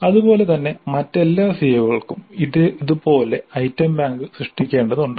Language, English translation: Malayalam, Similarly for all the other COs what kind of item bank needs to be created